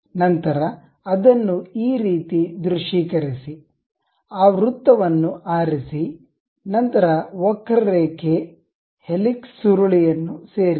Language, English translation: Kannada, Then, visualize it in this way, we have the, pick that circle, then go to insert curve, helix spiral